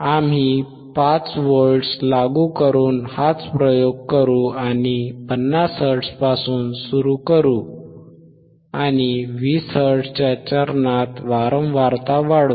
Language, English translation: Marathi, We will do the same experiment; that means, that will by applying 5 volts and will start from 50 hertz start from 50 hertz and increase the frequency at the step of 20 hertz increase the frequency at step of 20 hertz, right